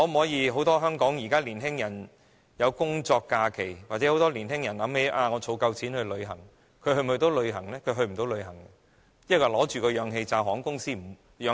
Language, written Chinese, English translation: Cantonese, 現時香港很多年輕人會去工作假期，或想到已儲足夠的金錢，可以去旅行，但這些病患者能否去旅行呢？, At present many young people in Hong Kong prefer having a working holiday or may go to a trip when they have saved enough money . However can these patients go out for a trip?